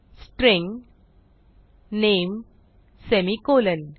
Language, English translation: Marathi, String name semicolon